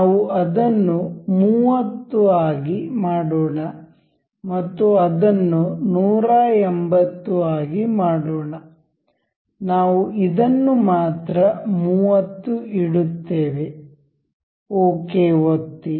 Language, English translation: Kannada, Let us make it it will let be 30 and we will make this as let us make it 180; we will keep it 30 only; click ok